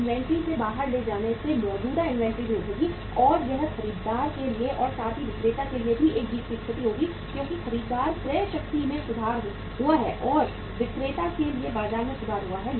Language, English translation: Hindi, Taking out from the inventory existing inventory will also pick up and that will be a win win situation for the buyer also as well as for the seller also because buyer purchasing power has improved and for the seller the market has improved